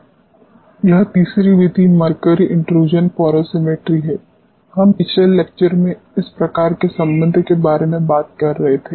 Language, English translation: Hindi, This is the third method mercury intrusion porosimetry, we were talking about this type of relationship in the previous lecture